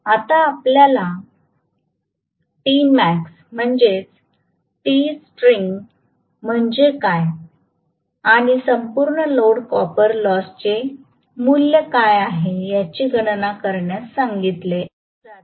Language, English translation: Marathi, Now you are being asked to calculate what is t max what is t starting and what is the value of full load copper loss